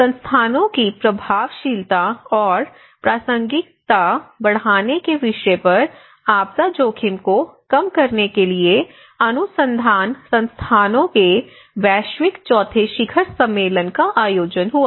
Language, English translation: Hindi, Now, in the recent the fourth summit, global summit of research institutes for disaster risk reduction, the theme is about the increasing the effectiveness and relevance of our institutes how we can increase